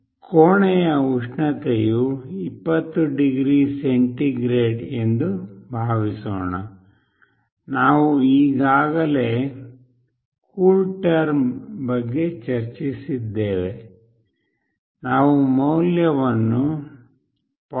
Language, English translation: Kannada, Suppose, the room temperature is 20 degree centigrade, we have already discussed about CoolTerm; suppose we find the value as 0